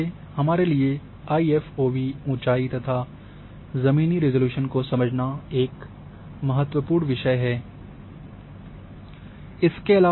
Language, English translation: Hindi, So, that is why it is important to understand IFOV height and ground resolution which is concern for us